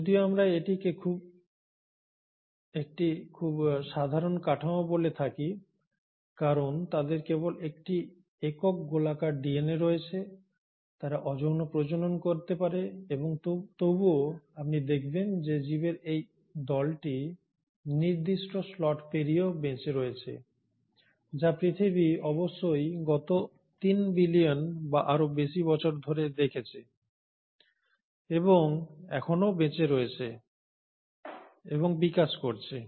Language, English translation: Bengali, So though we call it to have a very simple structure because they just have a single circular DNA, they do reproduce asexually yet this group of organisms you find have survived beyond slots which the earth must have experienced in last 3 billion or years and has still continue to survive and thrive